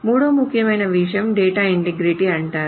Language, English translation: Telugu, The third important thing is called data integrity